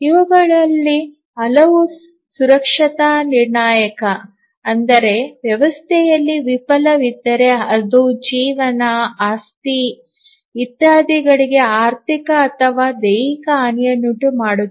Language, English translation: Kannada, And many of these are safety critical, in the sense that if there is a failure in the system it can cause financial or physical damage